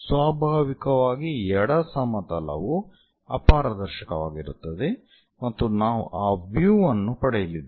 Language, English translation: Kannada, So, naturally on the left plane will be opaque and we are going to get that view